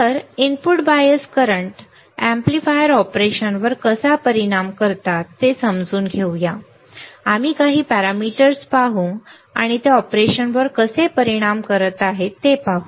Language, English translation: Marathi, So, let us understand how the input bias currents affect the amplifier operation, we will see few of the parameters and we will see how they are affecting the operation ok